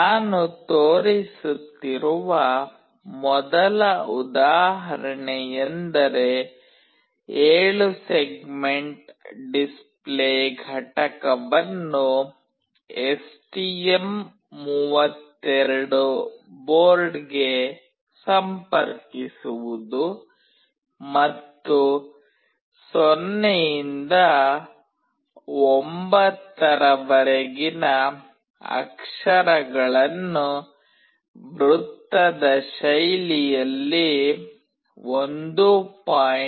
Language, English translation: Kannada, The first example that I will be showing is for interfacing 7 segment display unit to the STM32 board, and display the characters from 0 to 9 in a cyclic fashion with a time delay of 1